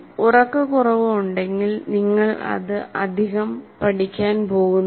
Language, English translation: Malayalam, So if you, there is sleep deprivation obviously you are not going to learn that very much